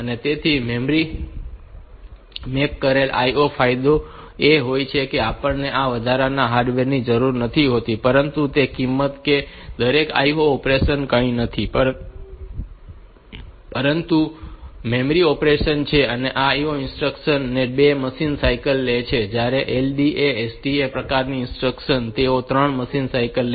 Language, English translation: Gujarati, So, memory mapped IO advantage is that we do not need this additional hardware, but at the cost that every IO operation is nothing, but a memory operation and this IN instruction it takes 2 machine cycles whereas, this LDA STA type of instructions, they take 3 machine cycles